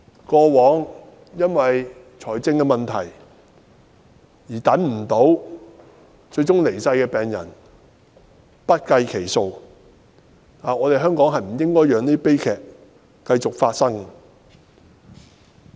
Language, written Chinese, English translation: Cantonese, 過往，因為經濟問題卻等不到資源而最終離世的病人不計其數，香港不應該讓這些悲劇繼續發生。, In the past innumerable patients with financial problems had eventually died during their wait for resources . We should no longer allow such tragedies to recur in Hong Kong